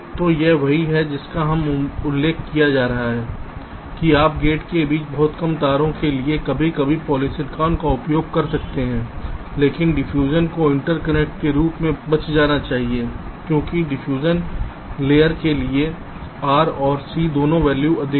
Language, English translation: Hindi, so this is exactly what is being mentioned here: that you can use polysilicon occasionally for very short wires between gates, but diffusion should be avoided as interconnections because both r and c values for diffusion layer is high